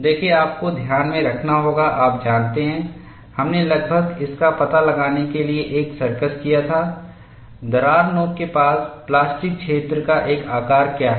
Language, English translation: Hindi, See, we will have to keep it in mind, you know we had done a circus to find out, approximately, what is a shape of the plastic zone near the crack tip